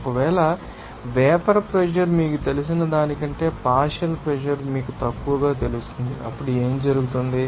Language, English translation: Telugu, If suppose, the partial pressure will be you know less than that you know vapour pressure, then what will happen